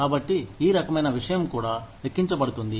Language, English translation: Telugu, So, this kind of thing, also counts